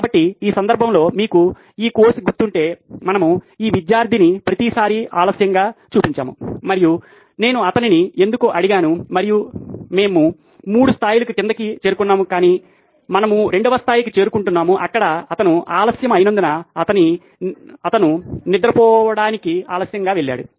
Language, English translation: Telugu, So in this case, if you remember this case,, we had this student who showed up late every time and I asked him why and we drill down to 3 levels but we are picking up on level 2 where he is late because he went to bed late that’s why he showed up late